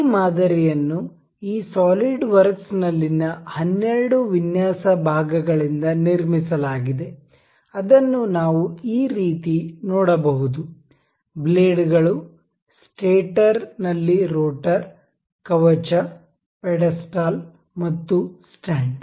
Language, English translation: Kannada, This model is built out of 12 design parts in this SolidWorks that we can see it like this; the blades, the rotor in stator, the casing, the pedestal and the stand